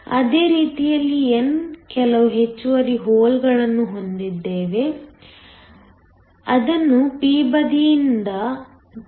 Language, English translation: Kannada, Same way, we have some extra holes that are being injected from the p side